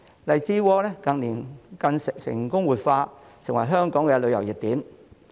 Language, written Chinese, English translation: Cantonese, 荔枝窩近年更成功活化，成為香港的旅遊熱點。, In recent years Lai Chi Wo has been successfully revived as a tourist hotspot in Hong Kong